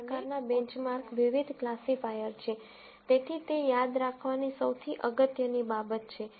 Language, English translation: Gujarati, So, this curve kind of benchmarks different classifiers so, that is the most important thing to remember